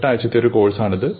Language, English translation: Malayalam, This is an eight week course